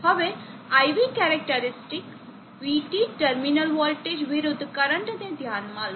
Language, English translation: Gujarati, Now consider the IV characteristic, Vt terminal voltage versus the current